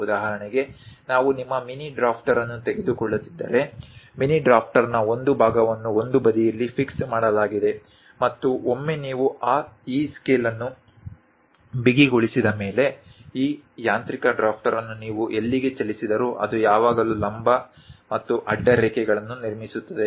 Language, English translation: Kannada, For example, if we are taking your mini drafter, one part of the mini drafter is fixed on one side and once you tighten this scale; wherever you move this mechanical drafter, it always construct vertical and horizontal lines